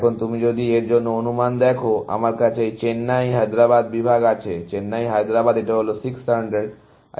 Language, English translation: Bengali, Now, if you look at the estimate for this, I have this Chennai Hyderabad section; Chennai Hyderabad is this one; this 600, and this 600